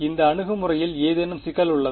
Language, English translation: Tamil, Does is there any problem with this approach